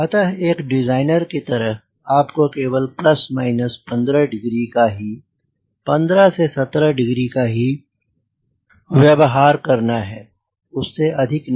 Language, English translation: Hindi, so as a designer you use only plus minus fifteen degrees, fifteen to seventeen degrees, not more than that